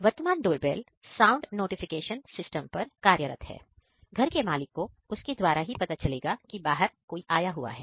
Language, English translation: Hindi, The present day doorbells are sound notification system which will give a sound notification to the owner of the house if somebody is outside